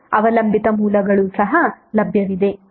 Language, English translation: Kannada, And the dependent sources are also available